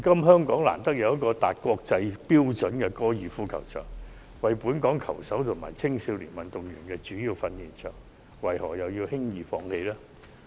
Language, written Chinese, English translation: Cantonese, 香港難得有個達國際標準的高爾夫球場，為本港球手和青少年運動員提供主要訓練場地，為何輕言放棄？, It is extraordinary that Hong Kong boasts a golf course that meets international standards and serves as the main training ground for local players and junior athletes